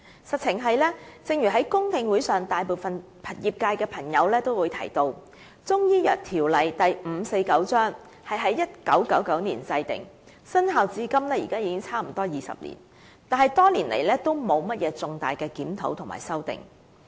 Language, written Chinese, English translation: Cantonese, 事實是，正如在公聽會上大部分業界朋友也提到，《條例》在1999年制定，生效至今已接近20年，但多年來也沒有進行重大的檢討和修訂。, The fact is as pointed out by the great majority of industry members in the public hearings CMO Cap . 549 was enacted in 1999 and has been in effect for almost two decades . However throughout the years no major review has been conducted and no amendment has been made